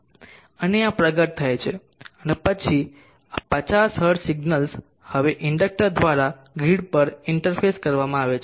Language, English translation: Gujarati, And this unfolding happens and then this 50 hertz signal is now interface to the grid through the inductor, so this is one way of interfacing